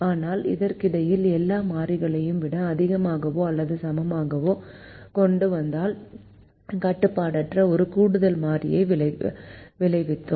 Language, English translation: Tamil, but meanwhile, because we brought all the variables to greater than or equal to, we added one more variable